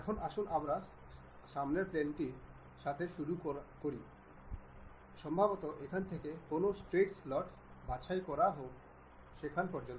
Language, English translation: Bengali, Now, let us begin with a Front Plane normal to front plane maybe pick a Straight Slot from here to there to that